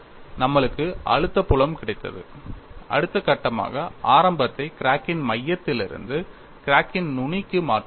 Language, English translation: Tamil, We got the stress field then the next step was shift the origin that means from center of the crack to the tip of the crack